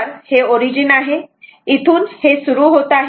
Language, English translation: Marathi, So, this is the origin here it is starting